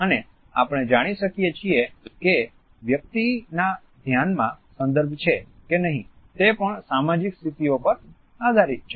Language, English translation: Gujarati, At the same time we find that whether a person is mindful of the context or not also depends on the social positions